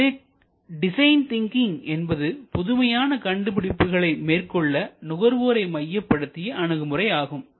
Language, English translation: Tamil, So, design thinking is really a human centered approach to innovation